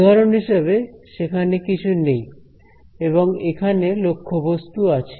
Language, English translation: Bengali, For example, here there is nothing and here there is the object right